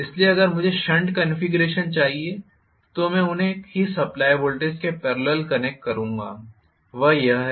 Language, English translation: Hindi, So,if I want shunt configuration I will connect them in parallel to the same voltage supply that is it